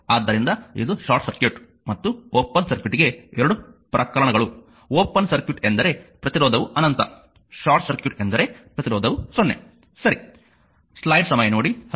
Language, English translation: Kannada, So, this is the this is the your 2 cases for short circuit and a open circuit and short circuit, open circuit means resistance is infinity, short circuit means resistance is 0, right